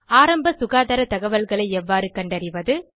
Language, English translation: Tamil, How to locate information on primary health care